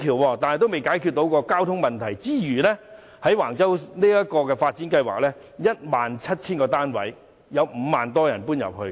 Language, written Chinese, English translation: Cantonese, 在尚未解決交通問題前，便計劃在橫洲興建 17,000 多個公屋單位，預計會有5萬多人遷入。, Despite the fact that the transport problem remained unsolved the Government planned to build more than 17 000 public housing units at Wang Chau and expected that 50 000 people would move in